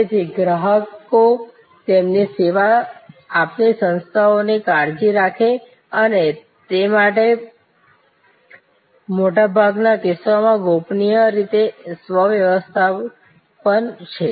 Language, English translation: Gujarati, So, customers care for their serving organizations and that is a self management of confidentially in most cases